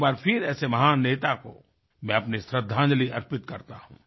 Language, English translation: Hindi, Once again I pay my homage to a great leader like him